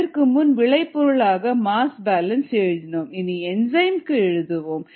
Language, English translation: Tamil, now let us write a mass balance on the enzyme